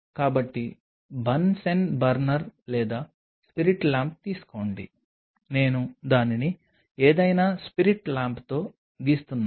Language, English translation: Telugu, So, take a bunsen burner or a spirit lamp I am drawing it with any spirit lamp